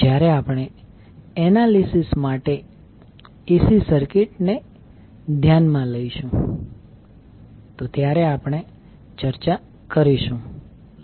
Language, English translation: Gujarati, We will discuss when we consider the AC circuit for the analysis